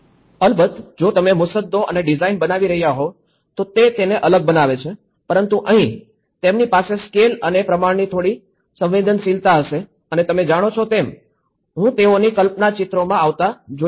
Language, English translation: Gujarati, Of course, if you are drafting and design then that makes it different but here they will have some sensitivity of the scale and the proportions and you know, this is what I can see that their imagination also comes into the picture